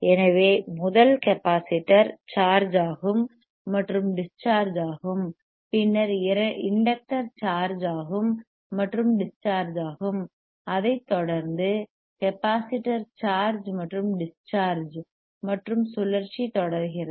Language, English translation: Tamil, So, so beautiful firstHence, first capacitor charges andthen is discharges, then inductor charges andthat discharge, followed by the capacitor charginge and capacitor discharginge again inductor charges this goes on this goes on continuously right and cycle continues